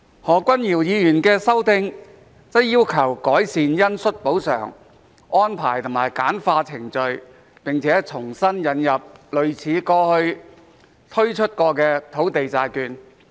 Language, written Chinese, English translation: Cantonese, 何君堯議員的修訂則要求改善恩恤補償安排和簡化程序，並重新引入類似過去推出的土地債券。, In his amendments Dr Junius HO has requested improving the arrangements for granting compensation on compassionate grounds and streamlining the relevant procedures as well as re - introducing a land bond similar to the one previously introduced